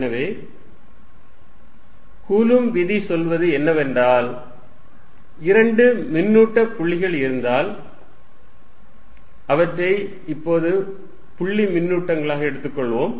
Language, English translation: Tamil, So, what Coulombs' law says is that if there are two charges points let us take them to be point charges right now